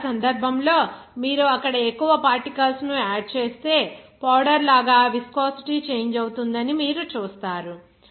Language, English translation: Telugu, So, in that case, you will see that if you add more particles there, you will see that viscosity will change, like powder